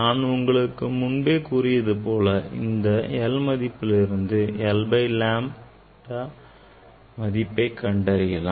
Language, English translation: Tamil, if you already I have told from this l you can calculate 1 by lambda